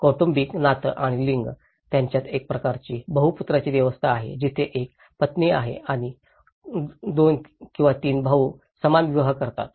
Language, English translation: Marathi, The family kinship and gender, they have a kind of polyandry system where there has one wife and 2, 3 brothers marry the same